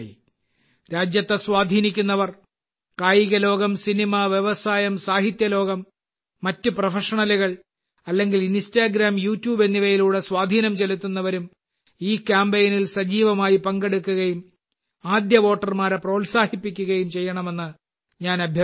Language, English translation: Malayalam, I would also urge the influencers of the country, whether they are from the sports world, film industry, literature world, other professionals or our Instagram and YouTube influencers, they too should actively participate in this campaign and motivate our first time voters